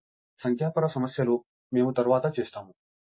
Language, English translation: Telugu, So, another thing numerical, we will come later